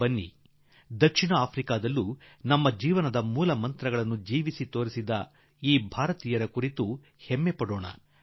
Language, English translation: Kannada, Come, let us be proud about these Indians who have lived their lives in South Africa embodying our highest and fundamental ideals